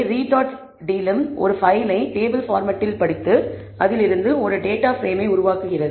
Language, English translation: Tamil, So, read dot delim reads a file in a table format and creates a data frame out of it